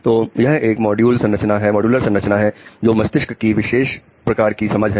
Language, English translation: Hindi, So it is a modular structure which is the spatial understanding of brain